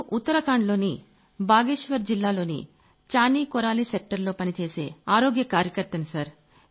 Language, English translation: Telugu, Sir, I work at the Chaani Koraali Centre in Bageshwar District, Uttarakhand